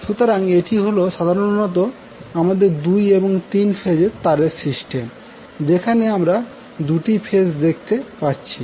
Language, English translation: Bengali, So, this is basically our 2 phase 3 wire system where we see the phases or 2 in the quantity